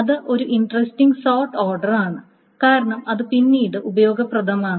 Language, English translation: Malayalam, So that is an interesting sort order because it is useful later